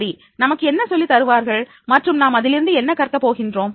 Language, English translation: Tamil, And what they will teach us and what I will learn from that